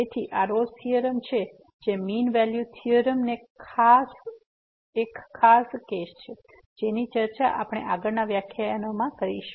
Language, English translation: Gujarati, So, this is the Rolle’s Theorem which is a particular case of the mean value theorem which we will discuss in the next lecture